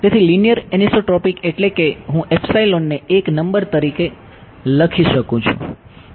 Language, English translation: Gujarati, So, linear anisotropic means I can write epsilon as a number